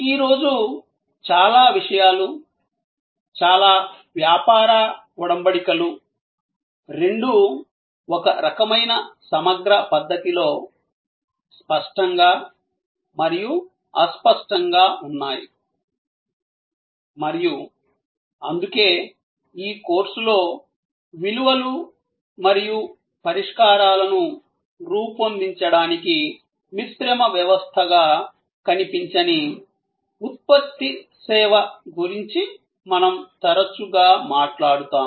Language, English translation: Telugu, And most things today, most business engagements are both elements, tangible and intangible in a kind of integral fashion and that is why in this course, we will often talk about product service tangible, intangible as a composite system for creating values and solutions